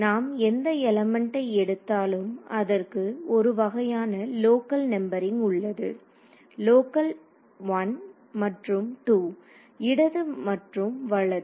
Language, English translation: Tamil, So, if I take any element so, there is a kind of a local numbering every element has a local 1 and a 2 left and right